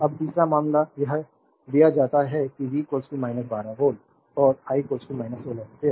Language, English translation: Hindi, Now, third case it is given that v is equal to minus 12 volt and I is equal to minus 16 ampere